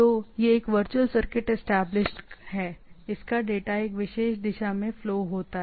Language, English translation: Hindi, So, this is a virtual circuit established, it data flows in this particular direction